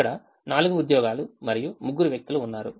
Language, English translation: Telugu, there are four jobs and three people